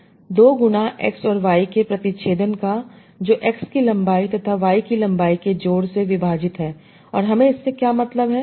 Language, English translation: Hindi, 2 times intersection of x and y divide by length of x plus length of y